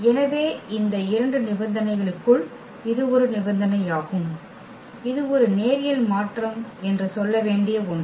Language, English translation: Tamil, So, that is one conditions for out of these 2 conditions this is one which is required to say that this is a linear transformation